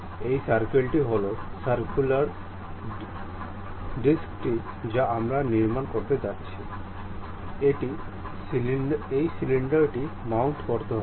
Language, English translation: Bengali, This circle circular disc what we are going to construct, it is going to mount on the cylinder